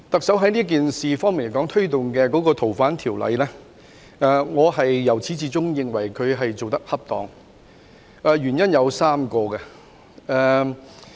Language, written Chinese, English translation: Cantonese, 就特首推動修訂《逃犯條例》的工作，我由始至終認為她做得恰當，原因有3個。, Regarding the work of the Chief Executive in amending the Fugitive Offenders Ordinance FOO I have all along considered that she has done her job properly . There are three reasons